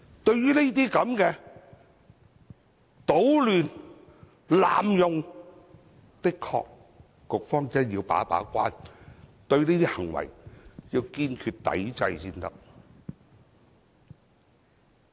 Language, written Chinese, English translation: Cantonese, 對於這些搗亂、濫用的情況，局方的確需要把一把關，對這些行為要堅決抵制才行。, However the Administration should indeed perform its gate - keeping role against applications of disruptive nature and abuse of the system . Such behaviours should be adamantly resisted